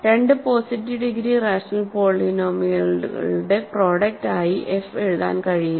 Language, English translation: Malayalam, So, f cannot be written as a product of two positive degree rational polynomials